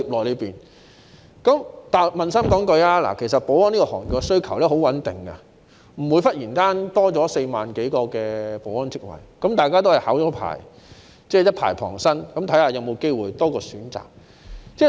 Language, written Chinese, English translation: Cantonese, 老實說，保安行業的需求十分穩定，不會忽然增加4萬多個保安職位，大家也是先考取牌照，一牌傍身，看看是否有機會多一個選擇。, Frankly the demand in the security industry is quite stable and there will not be a sudden increase of over 40 000 security jobs . The people are simply trying to get a permit first so that they can wait and see if they can possibly have one more option